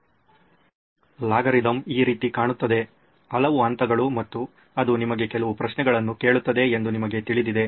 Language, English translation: Kannada, One of the algorithm looks like this, so many steps and you know it asks you certain questions